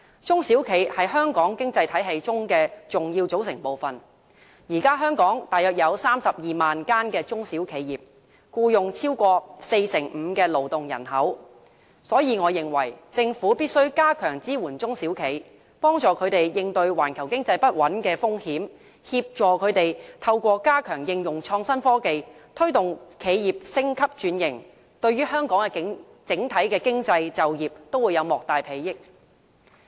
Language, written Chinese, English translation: Cantonese, 中小企是香港經濟體系中的重要組成部分，現時香港大約有32萬間中小企業，僱用超過四成五的勞動人口，所以我認為政府必須加強支援中小企，幫助他們應對環球經濟不穩的風險，協助他們透過加強應用創新科技，推動企業升級轉型，對於香港的整體經濟、就業都會有莫大裨益。, There are now about 320 000 SMEs in Hong Kong employing over 45 % of the working population . I thus hold that the Government must strengthen its support to SMEs help them counter the risks posted by the unstable global economy and help them upgrade and transform their enterprises through better use of innovation and technology . This will also greatly benefit the overall economy and employment in Hong Kong